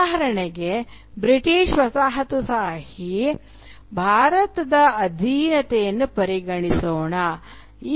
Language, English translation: Kannada, Let us consider the British colonial subjugation of India for instance